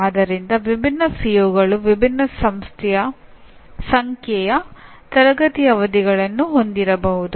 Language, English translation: Kannada, So different COs may have different number of classroom sessions